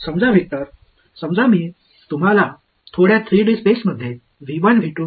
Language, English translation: Marathi, In vector supposing I gave you a bunch of vectors like this let say in 3D space V 1 V 2 V 3 ok